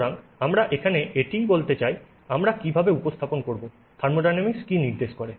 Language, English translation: Bengali, So, how do we represent what thermodynamics indicates